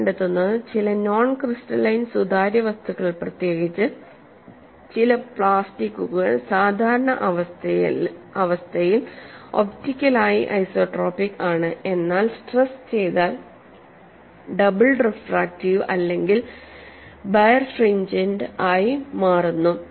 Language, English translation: Malayalam, Each of these techniques is governed by a basic physical principle and what you find is certain non crystalline transparent materials, notably some plastics are optically isotropic under normal conditions, but become doubly refractive or birefringent when stressed